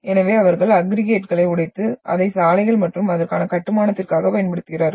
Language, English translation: Tamil, So they are breaking into the aggregates and using that aggregates for the construction of roads and all that